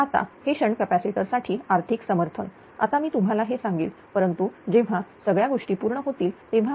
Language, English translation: Marathi, Now, this economic justification for shunt capacitor; now, I will tell you this but when all these things will be completed